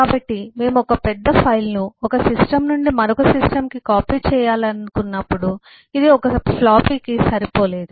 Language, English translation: Telugu, so when we wanted to copy one eh big file from one system to the other, it did not fit into one floppy